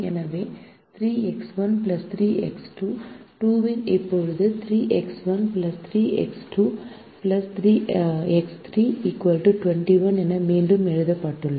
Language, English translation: Tamil, so three x one plus three x two less than or equal to twenty one is now rewritten as three x one plus three x two plus x three, equal to twenty one